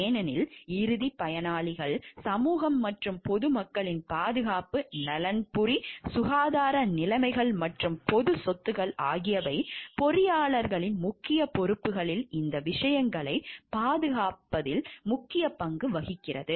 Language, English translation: Tamil, Because ultimate beneficiary is the society at large and it is the safety and welfare health conditions of the and the property of the public at large which are the major to protect these things at the major responsibilities of the engineers